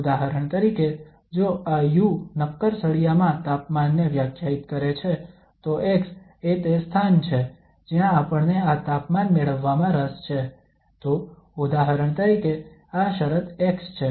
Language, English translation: Gujarati, For example if this u define the temperature in a solid bar then the x is the position where we are interested getting this temperature, so for example this is the position x